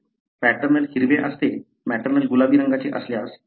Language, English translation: Marathi, So, paternal is green, maternal is kind of pinkish